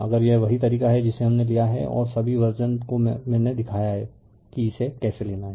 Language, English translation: Hindi, If it is the way we have taken and all versions I have showed you how to take it right